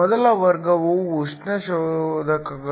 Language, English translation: Kannada, The first class are Thermal detectors